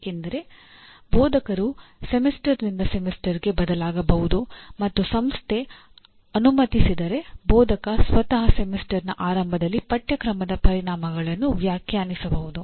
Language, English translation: Kannada, Because instructor may change from semester to semester and if the system permits instructor himself can define at the beginning of the semester what the course outcomes are